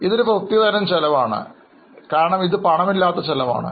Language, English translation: Malayalam, Keep in mind that this is a unique expense because it is a non cash expense